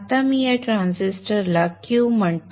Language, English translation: Marathi, Now let me call this transistor as Q